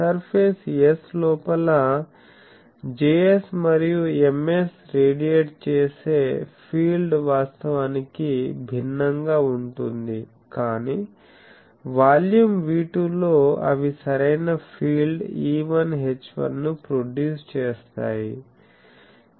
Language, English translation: Telugu, So, Js and Ms radiate field inside the surface S that is different from actual, but in the volume V2 they produce the correct fields E1 H1